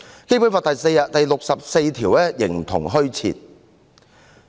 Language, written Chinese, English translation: Cantonese, 《基本法》第六十四條形同虛設。, Article 64 of the Basic Law is rendered virtually non - existent